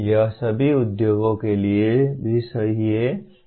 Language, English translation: Hindi, This is also true of all industries